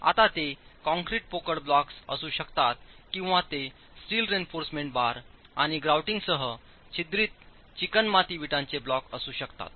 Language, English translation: Marathi, Now those could be concrete hollow blocks or it could be the perforated clay brick blocks with steel reinforcement and grouting